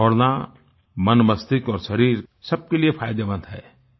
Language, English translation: Hindi, Running is beneficial for the mind, body and soul